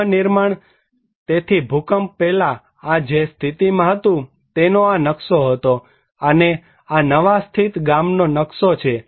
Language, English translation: Gujarati, The reconstructions, so this was the existing before the earthquake that was the layout and this was the newly located village layout